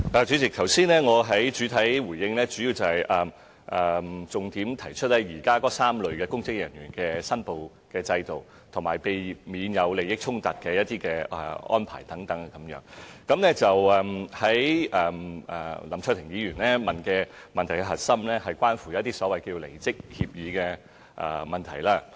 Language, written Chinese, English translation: Cantonese, 主席，我剛才的主體答覆的重點，是關於現行3類公職人員的申報制度，以及避免利益衝突的安排等，而林卓廷議員提出的質詢的核心，則是關乎所謂離職協議的問題。, President the key point in my main reply concerns the existing declaration systems for three types of public officers and arrangements for avoidance of conflict of interests and so on while the core of Mr LAM Cheuk - tings question is about so - called resignation agreements